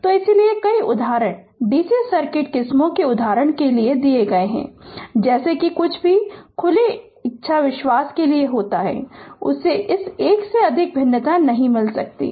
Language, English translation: Hindi, So, that is why so, many examples I am giving for DC circuit varieties of example such that whatever whichever takes be to open you will I believe that, you may not get much more variation than this one ok